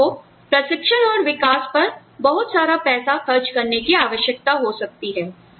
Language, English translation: Hindi, So, you may need to spend a lot of money, on training and development